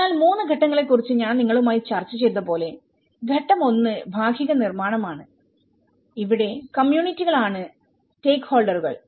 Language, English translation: Malayalam, So, as I discussed with you about 3 stages stage one which is a partial construction so here, the communities who are these stakeholders